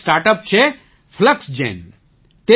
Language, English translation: Gujarati, There is a StartUp Fluxgen